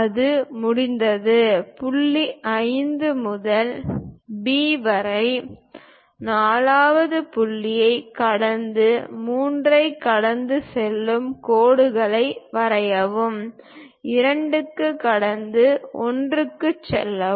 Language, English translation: Tamil, Once it is done, parallel to this line, parallel to point 5 and B, passing through 4th point, draw lines passing through 3, passing to 2, passing to 1